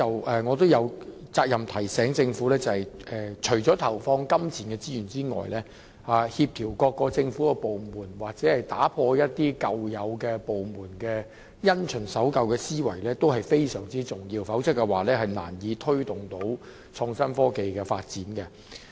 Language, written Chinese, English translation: Cantonese, 不過，我有責任提醒政府，除了投放金錢資源外，協調各個政府部門的工作及打破部門因循守舊的思維同樣非常重要，否則便難以推動創新科技的發展。, That said I am duty - bound to remind the Government that apart from providing resources in monetary terms it is equally important to coordinate the work of various government departments and eliminate their mindset of sticking to the old rut or else it would be difficult to take forward the development of innovation and technology